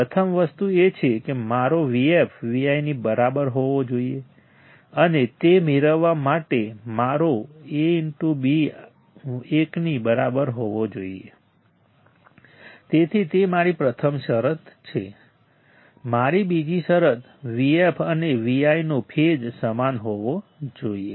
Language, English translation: Gujarati, First thing is that my V f should be equal to V i and to get that to get that my A beta should be equal to 1, so that is my first condition; my second condition is the V f and V i should have same phase right